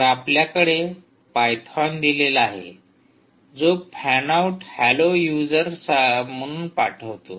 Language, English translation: Marathi, so we have now given python send fan out, hello, user one, right